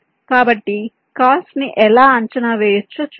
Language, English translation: Telugu, so let us see how we can evaluate the cost